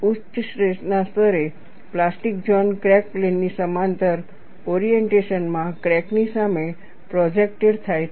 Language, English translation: Gujarati, At high stress levels, the plastic zone is projected in front of the crack in the direction parallel to the crack plane